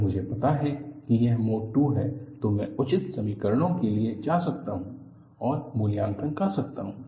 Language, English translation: Hindi, If I know it is the mode 2, I can go for appropriate equations and evaluate